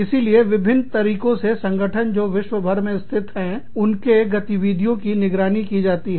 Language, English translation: Hindi, So, various ways in which, the functioning of organizations, that are situated internationally, is monitored